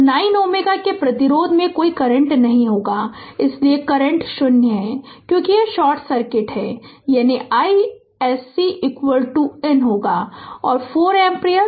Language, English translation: Hindi, So, there will be no current in 9 ohm ah resistance, so current is 0, because this is short circuit right, that means i s c is equal to i N will be is equal to 4 ampere